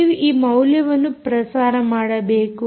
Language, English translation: Kannada, you need to transmit this value